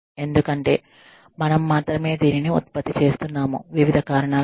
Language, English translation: Telugu, Because, we are the only ones, producing this, or for various reasons